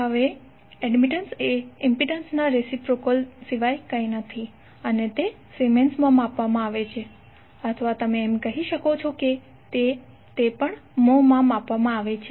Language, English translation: Gujarati, Now admittance is nothing but reciprocal of impedance and it is measured in siemens or you can say it is also measured in mho